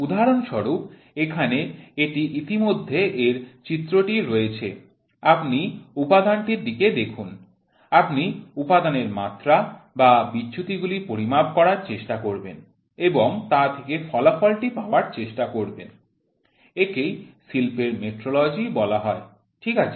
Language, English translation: Bengali, For example, here it is already drawing its existing, you look at the component, you try to measure the dimensions or deviations from the component and you try to take the result out of it that is called as industrial metrology, ok